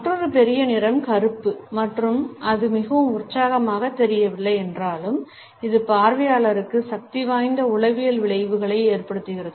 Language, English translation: Tamil, Another major color is black and although it might not seem very exciting, it has powerful psychological effects on the observer